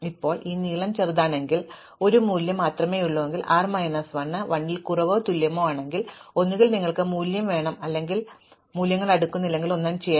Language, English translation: Malayalam, Now, if this length is small, in other words, if I have only one value, if r minus l is less than or equal to 1, if either I have only one value or if I have no values to sort, then I do nothing